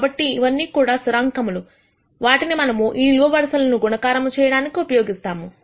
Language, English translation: Telugu, So, these are all constants that we are using to multiply these columns